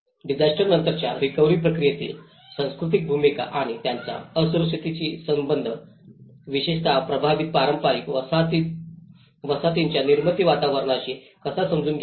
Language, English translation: Marathi, How to understand the role of culture in the post disaster recovery process and its relation to the vulnerability, especially, in particular to the built environment of affected traditional settlements